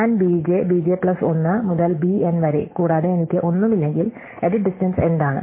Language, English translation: Malayalam, So, if I am looking at b j, b j plus 1 to b n and beside I have nothing, then what is the edit distance